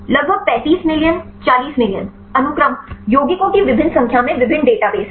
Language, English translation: Hindi, Around 35 million 40 million sequences; there are various database in the various number of compounds